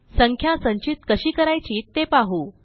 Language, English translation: Marathi, Now let us see how to store a number